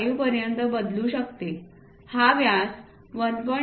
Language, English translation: Marathi, 5, this diameter can vary from 1